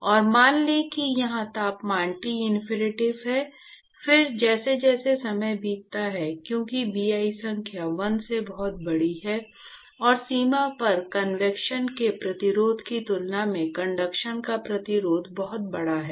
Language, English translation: Hindi, And let us say the temperature here is Tinfinity, then as time passes by, because the Bi number is much larger than 1, and the resistance to conduction is much larger than the resistance to convection at the boundary